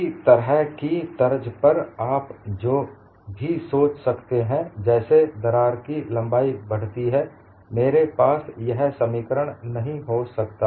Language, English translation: Hindi, On similar lines, what you can also think of is, as the length of the crack increases, I cannot have this as the expression